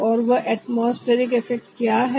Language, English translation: Hindi, and what is that atmospheric